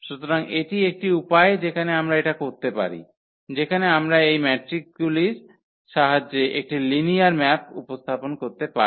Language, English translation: Bengali, So, this is one way where we can, where we can represent a linear map with the help of this matrices